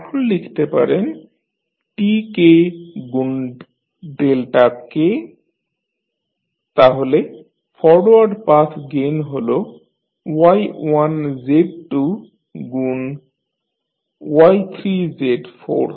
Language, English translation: Bengali, Now you can write Tk into delta k, so what is the forward path gain you have Y1 Z2 into Y3 Z4